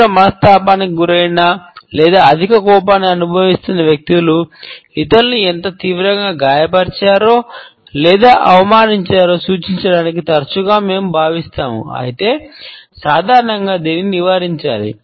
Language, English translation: Telugu, Sometimes we feel that people who have been deeply upset or feel excessive anger often point towards others to indicate how badly they have been hurt or insulted; however, normally it should be avoided